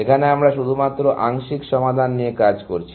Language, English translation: Bengali, Here, we are working only with partial solution